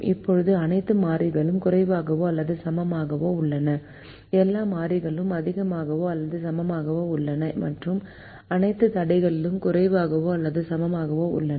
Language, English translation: Tamil, now all the variables are less than or equal to, all the variables are greater than or equal to, and all the constraints are less than or equal to